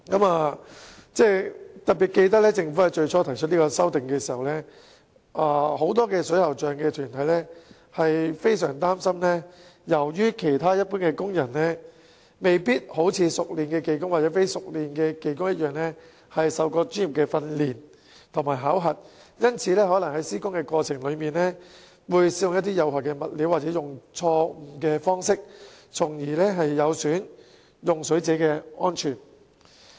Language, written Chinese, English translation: Cantonese, 我特別記得，最初當政府提出有關修訂時，不少水喉匠團體相當擔心，因為其他一般工人未必能夠一如熟練技工或非熟練技工般受過專業訓練和考核，因此在施工過程中可能會使用有害物料或錯誤方式，因而損害用水者的安全。, I particularly remember that when the Government put forth the relevant amendments at the very beginning many plumbers organizations expressed grave concern because other general workers might not have received any professional training and assessment in contrast to skilled workers or non - skilled workers . Therefore they might use harmful materials or a wrong approach in the works process thus jeopardizing the safety of water users